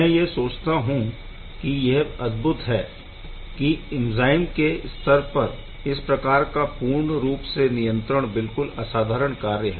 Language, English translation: Hindi, I think that is amazing to be able to control these things at a level where enzyme once perfectly is quite phenomenal